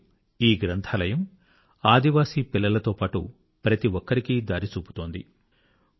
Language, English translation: Telugu, Today this library is a beacon guiding tribal children on a new path